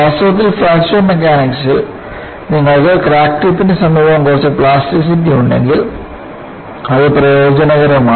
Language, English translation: Malayalam, And, in fact in Fracture Mechanics, if you have some plasticity near the crack tip, it is beneficial